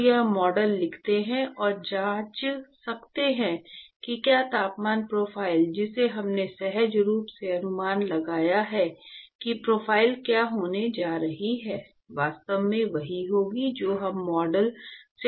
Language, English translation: Hindi, So, let us write the model and in fact, we can check whether the temperature profiles that we actually intuitively guessed what is going to be the profile, that will actually be the same as what we would predict from the model